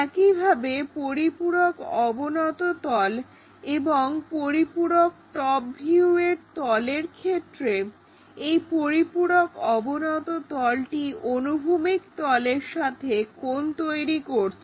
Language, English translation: Bengali, Similarly, if it is auxiliary inclined plane and auxiliary top views for that what we have is this is auxiliary inclined plane makes an angle with the horizontal plane